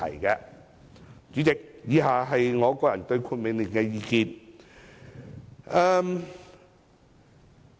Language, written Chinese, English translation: Cantonese, 代理主席，以下是我個人對《命令》的意見。, Deputy President my personal views on the Order are as follows